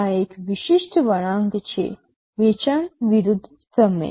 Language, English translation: Gujarati, This is a typical curve, sale versus time